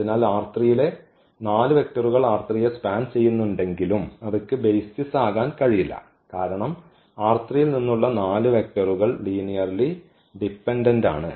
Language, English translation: Malayalam, And so, if there are 4 vectors which is span r 3 they cannot be they cannot be basis because, 4 vectors from R 3 they have to be linearly dependent this is the result here